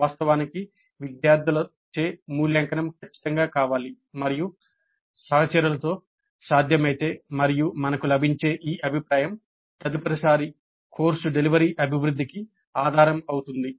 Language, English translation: Telugu, In fact it is desirable to have the evaluation by students definitely and if possible by peers and these feedback that we get would be the basis for development of the course delivery the next time